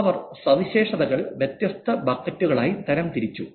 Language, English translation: Malayalam, She just categorized the features into different buckets